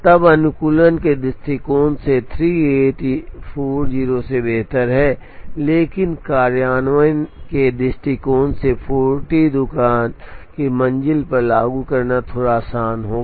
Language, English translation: Hindi, Then from an optimization point of view 38 is better than 40, but from implementation point of view 40 would be a little easier to implement on the shop floor